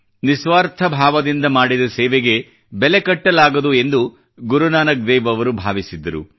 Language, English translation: Kannada, Guru Nank Dev ji firmly believed that any service done selflessly was beyond evaluation